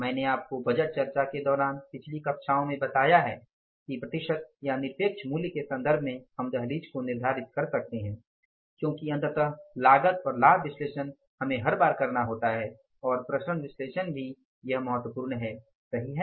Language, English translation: Hindi, I told you in the previous classes during the budget discussion that either in terms of the percentage or in the absolute value we can fix up the threshold level because ultimately the cost and benefit analysis we have to do every time and in case of the variance analysis also that analysis is important